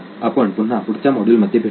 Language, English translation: Marathi, See you in the next module then